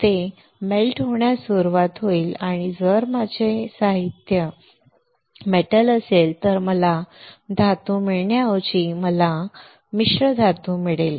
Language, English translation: Marathi, It will start melting and instead of getting a metal if my material is a metal I will get a alloy I get a alloy